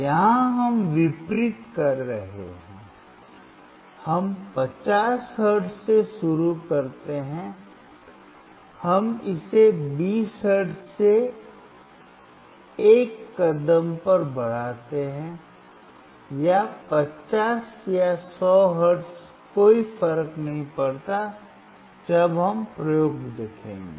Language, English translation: Hindi, Here we are doing opposite, we start from 50 hertz, we increase it at a step of 20 hertz or 50 or 100 hertz does not matter when we will see the experiment